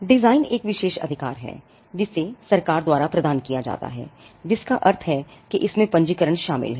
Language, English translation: Hindi, Design again it is an exclusive right it is conferred by the government, which means it involves registration